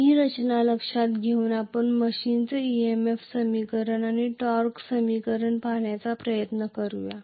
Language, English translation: Marathi, Now, let us try to with this structure in mind let, us try to look at the EMF equation and torque equation of the machine